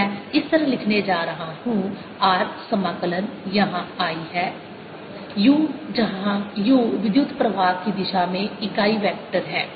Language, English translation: Hindi, i am going to write as r, integration, i is there u, where u is the unit vector in the direction of the current